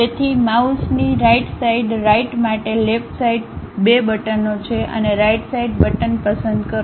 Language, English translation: Gujarati, So, for mouse right side, left side 2 buttons are there and pick right side button